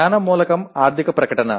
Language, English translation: Telugu, The knowledge element is financial statement